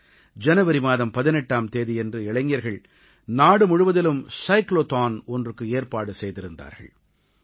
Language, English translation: Tamil, On January 18, our young friends organized a Cyclothon throughout the country